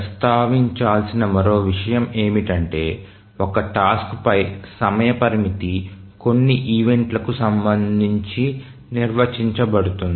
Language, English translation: Telugu, Now another thing that we want to mention is that the timing constraint on a task is defined with respect to some event